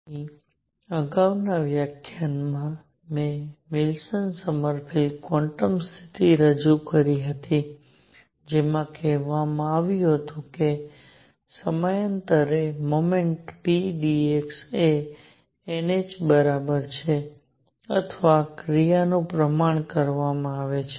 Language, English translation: Gujarati, So, the previous lecture I introduced the Wilson Sommerfeld quantum condition that said that for a periodic motion p d x was equal to n h or the action is quantized